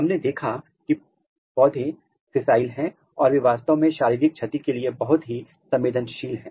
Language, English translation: Hindi, We have seen that plants are sessile and they are actually very prone to the physical damage